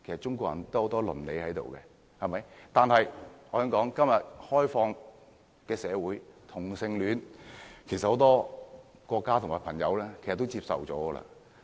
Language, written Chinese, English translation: Cantonese, 中國人有倫理，但我可以這樣說，在今天開放的社會，其實很多國家和朋友都接受同性戀。, Although Chinese people believe in ethics I can say that in an open society today homosexuality is actually accepted by many countries and people